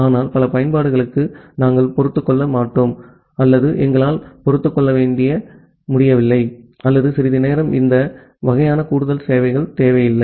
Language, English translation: Tamil, But for many of the application, we do not tolerate or we are not able to tolerate or some time we do not require this kind of additional services